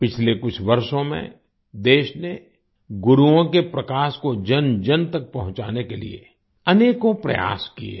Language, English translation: Hindi, In the last few years, the country has made many efforts to spread the light of Gurus to the masses